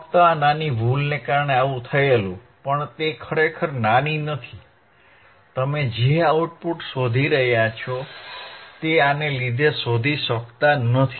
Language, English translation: Gujarati, jJust because of this small error, which is not really small, you cannot find the output which you are looking for which you are looking for